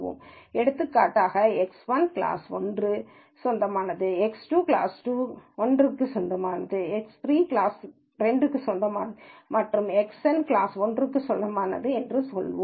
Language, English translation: Tamil, So for example, X 1 belongs to class 1, X 2 belongs to class 1, X 3 belongs to class 2 and so on, Xn belongs to let us say class 1